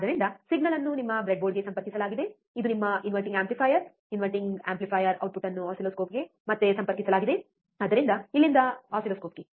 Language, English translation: Kannada, So, signal is connected to your breadboard, it is your inverting amplifier, inverting amplifier output is connected back to the oscilloscope so, from here to oscilloscope